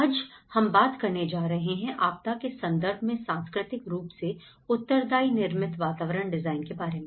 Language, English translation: Hindi, Today, we are going to talk about designing culturally responsive built environments in disaster context